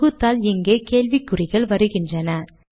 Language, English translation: Tamil, On compiling it, we see question marks here